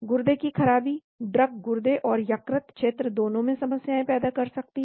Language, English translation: Hindi, Renal impairment, the drug could cause problems both in renal and liver region